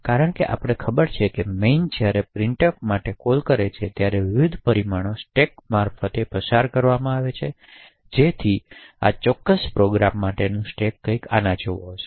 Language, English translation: Gujarati, So, as we know by now that when main invokes printf, the various parameters to printf are passed via the stack, so the stack for this particular program would look something like this